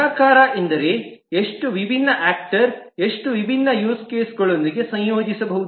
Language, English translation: Kannada, The multiplicity means that how many different actors can associate with how many different use cases